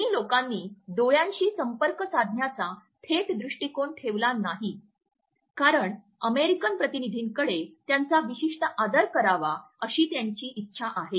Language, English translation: Marathi, Chinese did not maintained a direct eye to eye contact because they want it to pay certain respect to the American delegation